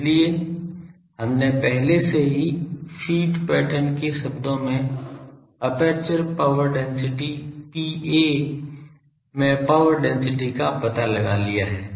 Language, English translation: Hindi, So, we have already found out power density in aperture power density P a in terms of the feed pattern